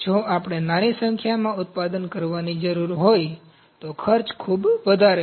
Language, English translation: Gujarati, If we need to produce small number, the cost is very high